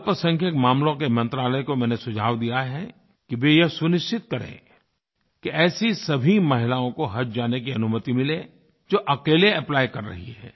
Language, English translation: Hindi, I have suggested to the Ministry of Minority Affairs that they should ensure that all women who have applied to travel alone be allowed to perform Haj